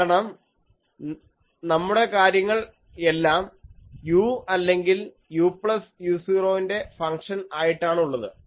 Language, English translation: Malayalam, Because, we are our thing is u or you can say function of u plus u 0, and this is u plus u 0, so that axis